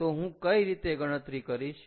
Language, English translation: Gujarati, so how do i calculate that